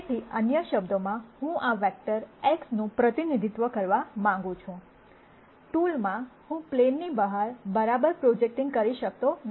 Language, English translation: Gujarati, So, in other words I want to represent this vector X, in a tool, I cannot do it exactly projecting out of the plane